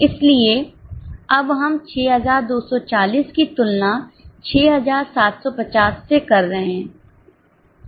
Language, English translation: Hindi, So, it is a comparison of 6 240 with 6750